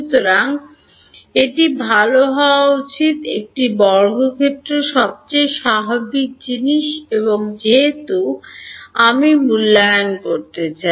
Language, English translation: Bengali, So, it should be well a square will be the most natural thing and since I want to evaluate D dot n hat